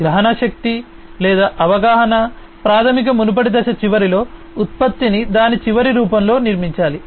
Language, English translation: Telugu, Perceiveness or perception is basically at the end of the previous phase, the product has to be built in its final form